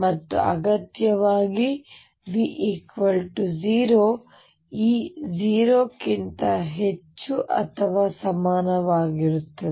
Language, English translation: Kannada, And necessarily v 0 e is going to be greater than or equal to 0